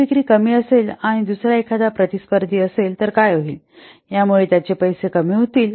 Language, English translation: Marathi, If the sales are low and another competitor is there, then what will happen